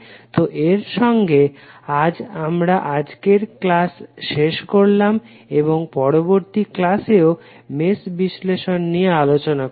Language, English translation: Bengali, So with this we close our today's session and we will continue the analysis using mesh analysis in the next session also